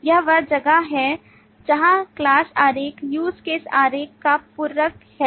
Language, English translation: Hindi, This is where the class diagram is supplementing the use case diagram